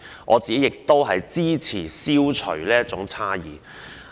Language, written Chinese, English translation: Cantonese, 我支持消除這種差異。, I support the abolition of that